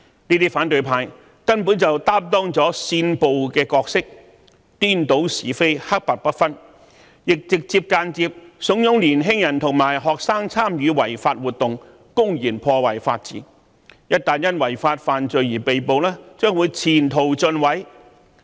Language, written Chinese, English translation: Cantonese, 這些反對派根本擔當了煽暴的角色，顛倒是非，黑白不分，亦直接和間接地慫恿年輕人和學生參與違法活動，公然破壞法治，他們一旦因違法犯罪而被捕，將會前途盡毀。, These people from the opposition camp have simply incited violence reversed right and wrong and confused black and white . They have also directly and indirectly instigated young people and students to participate in illegal activities that will blatantly undermine the rule of law and these youngsters will have their future completely ruined once they are arrested for their illegal acts and crimes